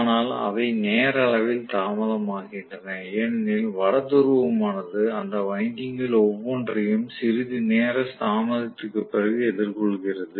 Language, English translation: Tamil, But they are time delayed because of the fact that the North Pole faces each of those windings after a little bit of time delay